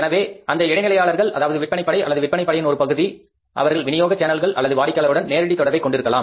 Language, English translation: Tamil, So because that middleman who is a sales force or is a sales part of the sales team, he is directly connected to the next person, maybe the channel of distribution or the customer